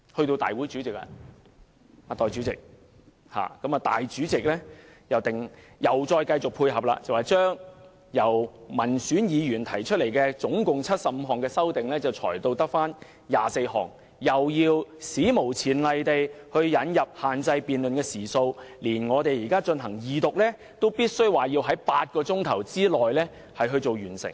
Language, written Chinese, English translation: Cantonese, 代理主席，立法會主席繼續配合政府，將民選議員提出的合共75項修正案，裁減至餘下24項，並史無前例限制辯論時數，連二讀辯論也限制在8小時內完成。, Deputy President the President of the Legislative Council has continued to tie in with the Government by reducing a total of 75 amendments proposed by elected Members to 24 amendments and unprecedentedly setting a time limit for the debate . Even the Second Reading debate is to be completed within eight hours